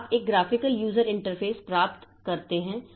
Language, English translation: Hindi, So, you get a graphical user interface and all